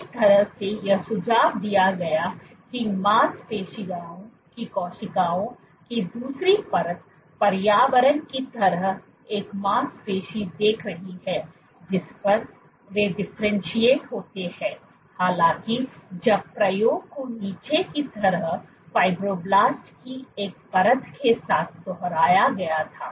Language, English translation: Hindi, In a sense this suggested again the second layer of muscle cells are seeing a muscle like environment on which the differentiate; however, when the experiment was repeated with a layer of Fibroblasts at the bottom